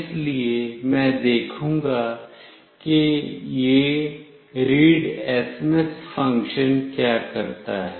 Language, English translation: Hindi, So, I will see what this readsms() function does